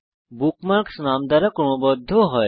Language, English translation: Bengali, The bookmarks are sorted by name